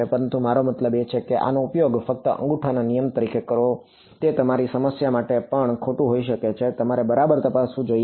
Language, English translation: Gujarati, But I mean just use this as a rule of thumb it may be wrong also for your problem you should check ok